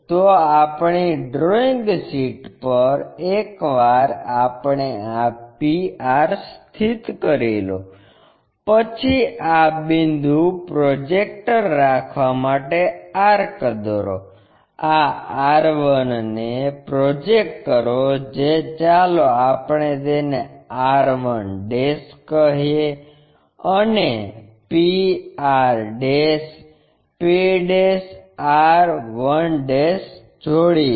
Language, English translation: Gujarati, So, on our drawing sheet once we have located this p r locate, draw an arc have a projector for this point, this is r 1 project that let us call this one r 1' and join p r', p' r 1'